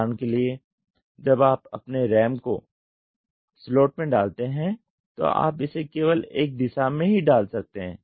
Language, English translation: Hindi, For example when you insert your ram into the slot you can do it only in one direction